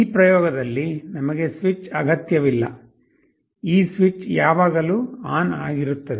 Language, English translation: Kannada, Of course we will not be requiring the switch in this experiment, this switch will be always on